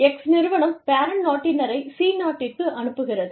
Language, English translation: Tamil, Firm X, sends the parent country nationals, to country C